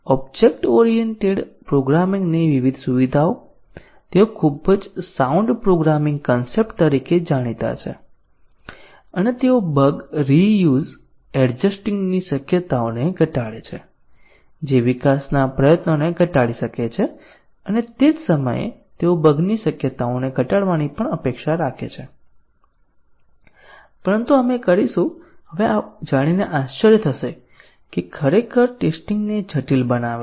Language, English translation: Gujarati, The different features of object oriented programming, they are known to be very sound programming concepts and they potentially reduce the chances of bug reuse adjusting could reduce development effort and at the same time they are also expected to reduce the chances of bug, but we will be surprised to learn now that actually complicate the testing